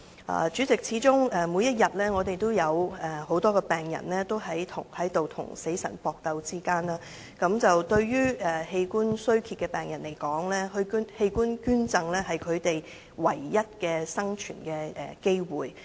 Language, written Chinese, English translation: Cantonese, 代理主席，始終我們每天也有很多病人正在跟死神搏鬥，對於器官衰竭的病人來說，器官捐贈是他們唯一的生存機會。, Deputy President many patients are fighting to live on every day . Organ donation is the only chance for patients with organ failure to survive